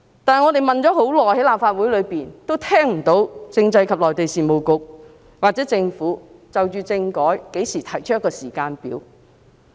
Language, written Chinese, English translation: Cantonese, 但是，我們在立法會內問了很久，都聽不到政制及內地事務局或政府何時就政改提出時間表。, However though we have raised our request at the Legislative Council for a long time the Constitutional and Mainland Affairs Bureau or the Government has yet to propose a timetable on constitutional reform